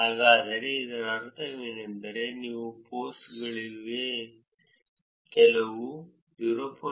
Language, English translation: Kannada, So, what does this mean, this means that there are only 0